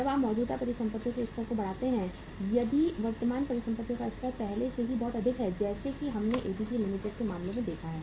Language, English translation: Hindi, When you increase the current assets level if the current assets level is already very high as we have seen in case of ABC Limited